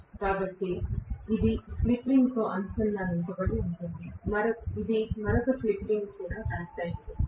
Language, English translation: Telugu, So this is connected to slip ring, this is also connected to another slip ring